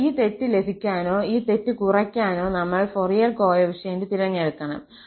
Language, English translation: Malayalam, Now, we have to choose the Fourier coefficients to get this error or to minimize this error